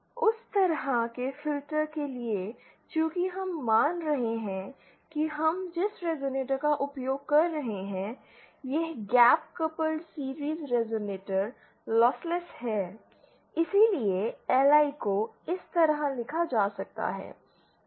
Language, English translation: Hindi, For that kind of filter since here we are assuming that the resonator we are using, this gap coupled series resonator is lossless, hence LI can be written like this